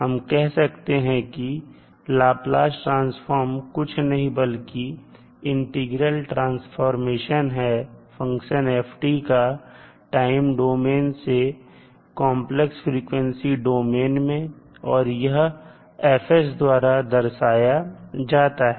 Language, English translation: Hindi, We can say that Laplace transform is nothing but an integral transformation of of a function ft from the time domain into the complex frequency domain and it is given by fs